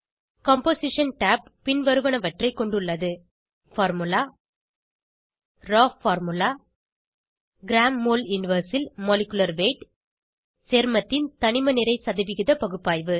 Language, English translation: Tamil, Composition tab has the following components * Formula * Raw formula * Molecular weight in g.mol 1 ( gram.mole inverse) * Compounds elemental mass percentage(%) analysis